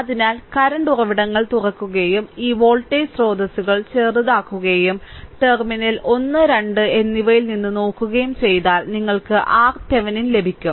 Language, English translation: Malayalam, So, current sources open and this voltage sources is voltage sources shorted right and looking from in between terminal 1 and 2, you will get the R Thevenin right